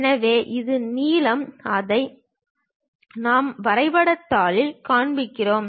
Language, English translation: Tamil, So, this is the length; what we are showing it on the graph sheet